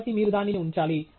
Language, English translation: Telugu, So, you have put that up